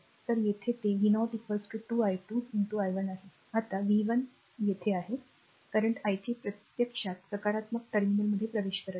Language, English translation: Marathi, So, here it is v 0 is equal to 2 i 2 into i 1, now v 1 v 1 is here, the current your i 3 actually entering to the positive terminal